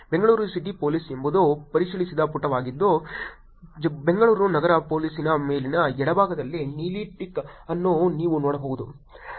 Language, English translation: Kannada, Bangalore City Police is the verified page you can see a blue tick next to the top left of Bangalore City Police